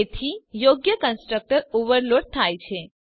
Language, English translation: Gujarati, So the proper constructor is overloaded